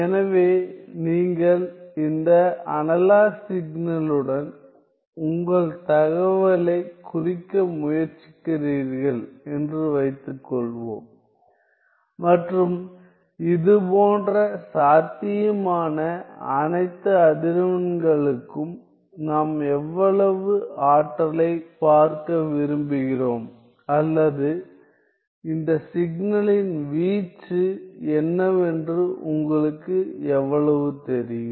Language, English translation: Tamil, So, suppose you are trying to represent your information with this analog signal and we want to see how much energy or how much you know what is the amplitude of this signal, for all such possible frequencies k